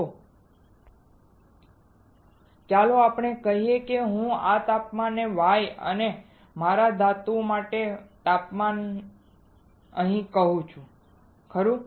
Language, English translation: Gujarati, So, let us say I call this temperature Y and the temperature for my metal, right